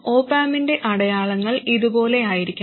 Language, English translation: Malayalam, The signs of the op amp must be like this